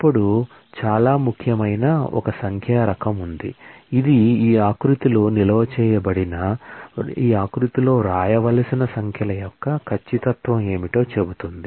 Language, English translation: Telugu, Then there is a numeric type which is often very important, which says what is the precision of the numbers that are to be written in this format stored in this format